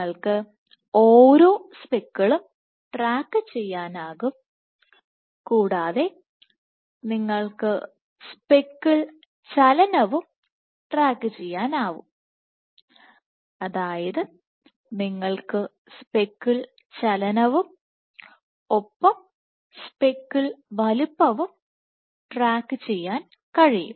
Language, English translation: Malayalam, So, you can track each speckle and you can track speckle movement you can track speckle movement and you can track speckle size